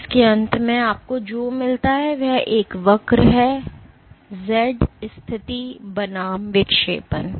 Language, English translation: Hindi, So, what you get at the end of it is a curve; Z pos versus deflection